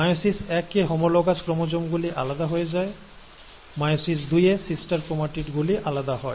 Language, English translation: Bengali, In meiosis one, the homologous chromosomes get separated, while in meiosis two, the sister chromatids get separated